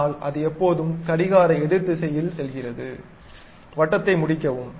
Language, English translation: Tamil, So, what it does is it always goes in the counter clockwise direction, finish the circle